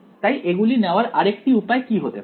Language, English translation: Bengali, So, what might be another way of picking it